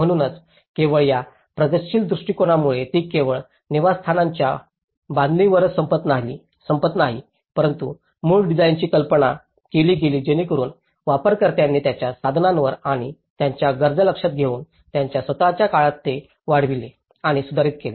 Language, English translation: Marathi, So, it did not just only this progressive approach it did not ended only with construction of the dwelling but the original design was conceived so that it can be extended and improved by the users in their own time depending on their resources and needs